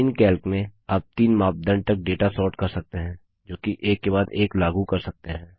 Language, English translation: Hindi, In Calc, you can sort the data using upto three criteria, which are then applied one after another